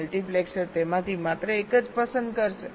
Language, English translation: Gujarati, multiplexer will be selecting only one of them